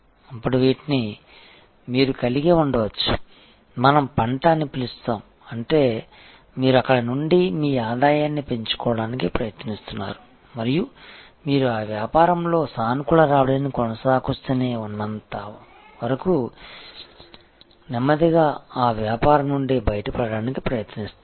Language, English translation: Telugu, Then, these you may have to, what we call harvest; that means you try to maximize your income from there and try to slowly get out of that business as long as keeps continuing to give you positive return you be in that business